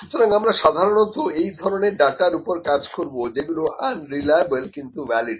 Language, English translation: Bengali, So, mostly we will be working on this kind of data, the data which is unreliable, but valid